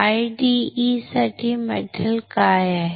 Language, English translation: Marathi, Now, what is the metal for IDE